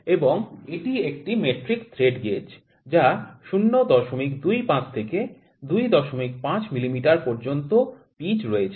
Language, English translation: Bengali, And this is a metric thread gauge which is having range from 0